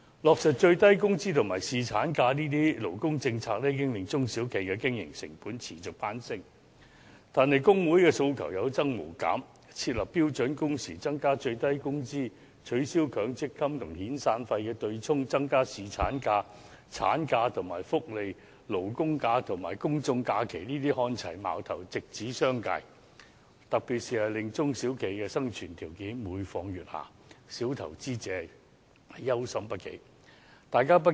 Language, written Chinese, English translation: Cantonese, 落實最低工資及侍產假等勞工政策已經令中小企的經營成本持續攀升，但工會的訴求有增無減，設立標準工時、增加最低工資、取消強制性公積金與遣散費對沖、增加侍產假、產假及福利、勞工假與公眾假期看齊等，矛頭直指商界，特別令中小企的生存條件每況愈下，小投資者憂心不已。, The implementation of such labour policies as minimum wage and paternity leave has led to a continual rise in the operating costs of small and medium enterprises SMEs but there have been increasing demands from the trade unions calling for the setting of standard working hours an increase of the minimum wage rate abolition of the arrangement for offsetting severance payment under the Mandatory Provident Fund System additional days of paternity leave and maternity leave and more welfare aligning the numbers of labour holidays and public holidays and so on . These demands all target the business sector direct and in particular they have caused the commercial viability of SMEs to deteriorate continuously arousing grave concern among the small investors